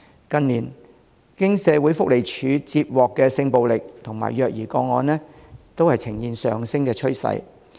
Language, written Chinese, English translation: Cantonese, 近年社會福利署接獲的性暴力和虐兒個案，均呈現上升趨勢。, In recent years the number of sexual violence and child abuse cases received by the Social Welfare Department SWD has shown a rising trend